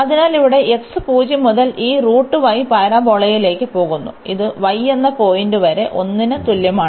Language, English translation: Malayalam, So, here x goes from 0 to this parabola which is a square root y, and this is up to the point y is equal to 1